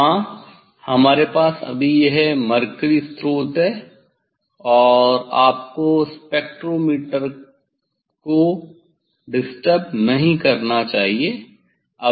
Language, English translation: Hindi, Yes, we have just this is the mercury source, this is the mercury source and you should not disturb the spectrometer just we will set